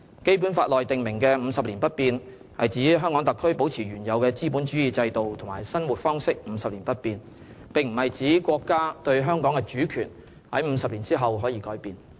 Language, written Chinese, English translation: Cantonese, 《基本法》內訂明的50年不變，是指香港特區保持原有的資本主義制度和生活方式50年不變，並不是指國家對香港的主權在50年後可以改變。, The principle of remaining unchanged for 50 years as stipulated in the Basic Law refers to the previous capitalist system and way of life that shall remain unchanged for 50 years not the notion that our countrys sovereignty over Hong Kong can change after 50 years